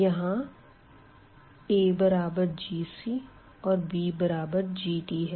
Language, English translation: Hindi, So, this a is going to be this g of c and this b is nothing but g of d